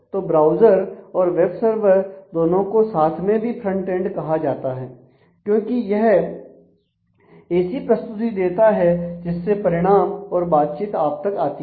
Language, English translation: Hindi, So, the browser and the web server together often would be refer to as a frontend because that gives a presentation that presents the results the interaction to you